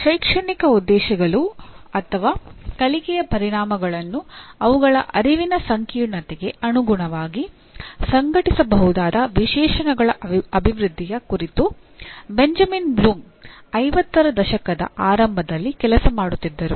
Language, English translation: Kannada, Benjamin Bloom was working in early ‘50s on the development of specifications through which educational objectives, his educational objectives are nothing but learning outcomes, could be organized according to their cognitive complexity